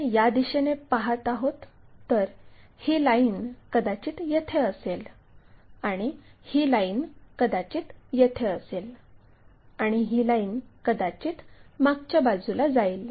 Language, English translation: Marathi, If, we are looking from this view, this line will be visible perhaps it might be coming that, this line naturally comes here and this line perhaps going a back side